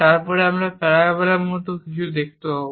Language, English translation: Bengali, This is the way we construct a parabola